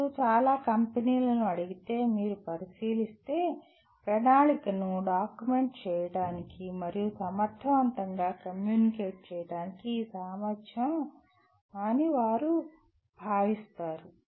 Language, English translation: Telugu, But if you look at if you ask many companies, they consider this ability to document plan and communicate effectively fairly at the top